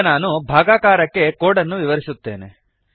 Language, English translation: Kannada, Now, I will explain the code for division